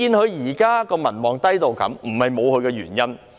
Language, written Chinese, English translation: Cantonese, 她現時低民望的程度，並非不無原因。, Her low popularity rate at present is not without reasons